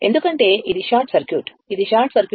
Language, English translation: Telugu, Because, it is a short circuit it is a short circuit right